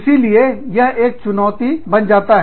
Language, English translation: Hindi, So, that becomes a challenge